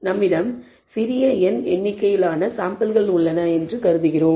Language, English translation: Tamil, We assume we have small n number of samples that we have obtained